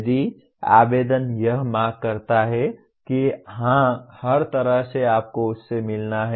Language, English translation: Hindi, If the application demands that yes by all means you have to meet that